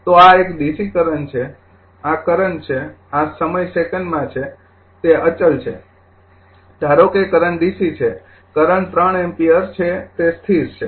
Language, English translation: Gujarati, So, this is a dc current, this is current, this is time second, it is the constant suppose current dc, current is that 3 ampere it is constant right